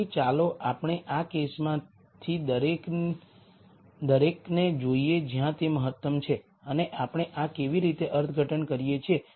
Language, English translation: Gujarati, So, let us look at each of this case in terms of where the optimum lies and how we interpret this